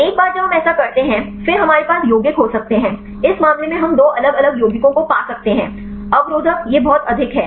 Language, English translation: Hindi, Once we do this; then we can have the compounds; in this case we could find two different compounds, the inhibitors it is very high